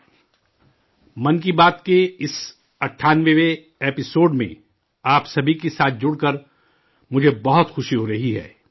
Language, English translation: Urdu, I am feeling very happy to join you all in this 98th episode of 'Mann Ki Baat'